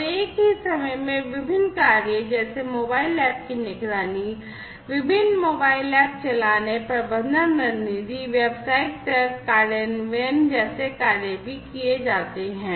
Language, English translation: Hindi, And at the same time different functionalities such as monitoring having mobile apps, running different mobile apps, management strategies, business logic implementations, are also performed